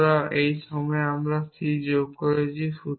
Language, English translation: Bengali, So, at this point we have added c